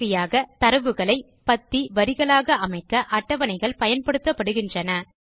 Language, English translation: Tamil, Lastly, tables are used to organize data into columns and rows